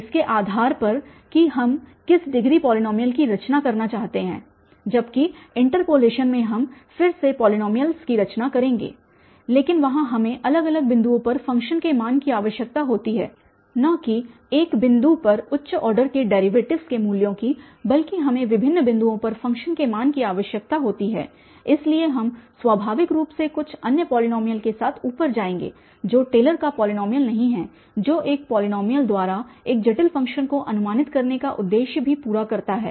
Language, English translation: Hindi, Whereas in the interpolation we will again, we will be constructing the polynomials but there we need the function value at different different points not at one point the values of higher order derivatives rather we need the function value at different different points, so we will naturally come up with some other polynomial not the Taylor’s polynomial which also does the purpose of approximating a complicated function by a polynomial